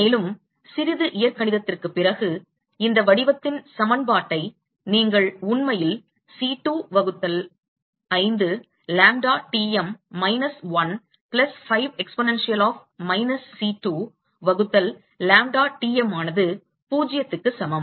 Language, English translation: Tamil, And, after a little bit of algebra you can actually reduce the equation to this form C2 by 5 lambda Tm minus 1 plus 5 exponential of minus C2 by lambda Tm equal to 0